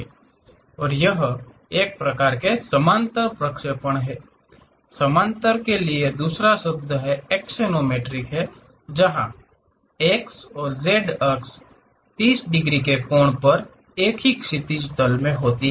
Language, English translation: Hindi, And it is a type of parallel projection, the other word for parallel is axonometric, where the x and z axis are inclined to the horizontal plane at the angle of 30 degrees